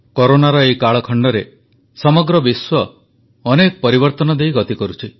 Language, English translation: Odia, During this ongoing period of Corona, the whole world is going through numerous phases of transformation